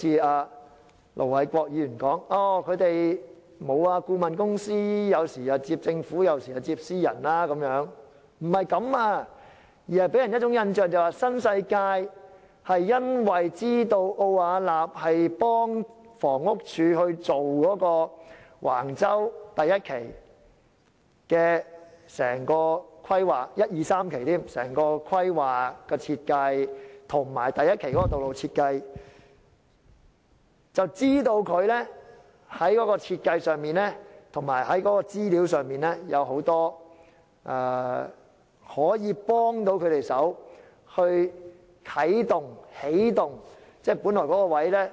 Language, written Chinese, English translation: Cantonese, 這並非如盧偉國議員所說，顧問公司有時接政府項目，有時接私人項目，並不是這樣，而此事予人的印象就是新世界因為知道奧雅納協助房屋署進行橫洲第1至3期的規劃、設計及第1期的道路設計，便知道該公司在設計上及資料上可以協助他們起動其發展項目。, Ir Dr LO Wai - kwok said that consultancies sometimes undertake both public and private projects . That was not the case . The incident left the public with the impression that NWD found Arup to be helpful in launching its development project in respect of the design and the information needed because Arup was engaged by the Housing Department HD in the planning and designing of Phases 1 to 3 and in the road design of Phase 1 at Wang Chau